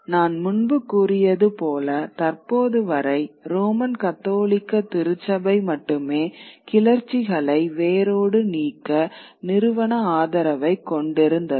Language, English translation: Tamil, As I had said earlier, that till now it is only the Roman Catholic Church which had the very withal or the institutional backing to crush rebellions